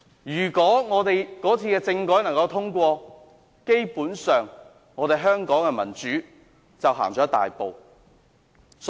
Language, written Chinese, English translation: Cantonese, 如果那次政改獲得通過，基本上香港的民主便走前了一大步。, If that constitutional reform proposal had been passed it would basically have been a big step forward in Hong Kongs democracy